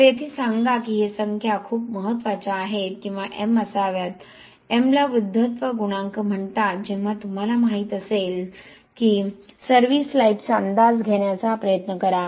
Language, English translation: Marathi, So point here is these numbers are very important or M should be, M we call it aging coefficient, it should be considered when you you know try to estimate service life